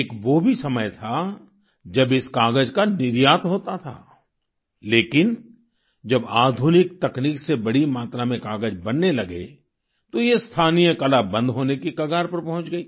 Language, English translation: Hindi, There was a time when this paper was exported but with modern techniques, large amount of paper started getting made and this local art was pushed to the brink of closure